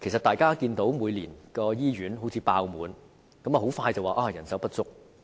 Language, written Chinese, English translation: Cantonese, 大家都看到，每年醫院都"爆滿"，然後很快便說人手不足。, As Members can see hospitals are full to the brim every year and then people will lose no time to attribute it to the shortage of manpower